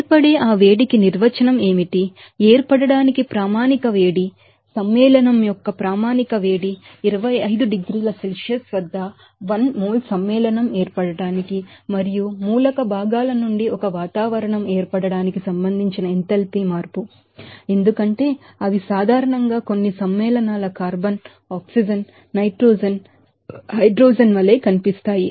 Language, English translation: Telugu, What is the definition of that heat of formation, standard heat of formation, the standard heat of formation of a compound is the enthalpy change that is associated to the formation of 1 mole of compound at 25 degrees Celsius and 1 atmosphere from its elemental constituents as they are normally found in itself like some compounds carbon, oxygen, nitrogen, hydrogen, they are actually necessarily occurring, you know, compounds are constituents you can say and these are elemental constituents